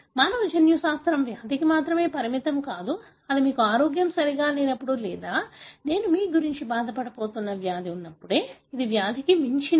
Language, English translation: Telugu, So, the human genomics is not restricted only to disease that is only when you are not well or having a disease that I am going to bother about you; this goes beyond disease